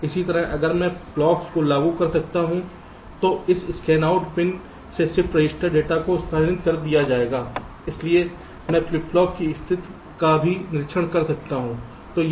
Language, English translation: Hindi, similarly, if i apply clocks, the shift register data will be shifted out from this scanout pin so i can observe the states of the flip flops also